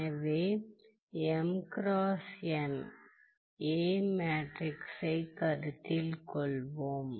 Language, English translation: Tamil, So now, let us look at matrices